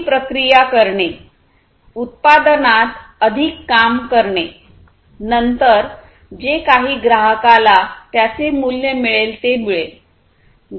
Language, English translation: Marathi, Over processing doing more work in the product, then whatever basically the customer finds value in